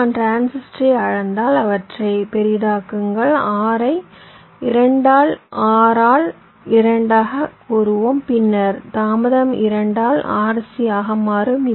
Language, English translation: Tamil, so if i scale up the transistor, make them bigger, lets say r by two, r by two, then my delay will become r, c by two right